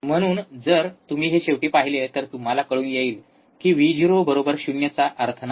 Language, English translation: Marathi, So, if you see this finally, you get Vo equals to 0 has no meaning